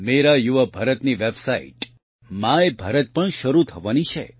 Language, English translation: Gujarati, Mera Yuva Bharat's website My Bharat is also about to be launched